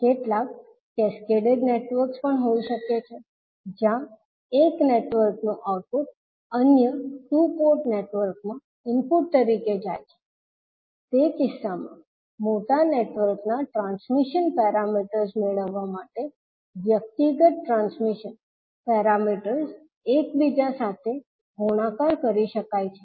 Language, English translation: Gujarati, There may be some cascaded networks also where the output of one network goes as an input to other two port network, in that case individual transmission parameters can be multiplied together to get the transmission parameters of the larger network